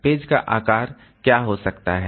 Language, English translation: Hindi, What can be the page size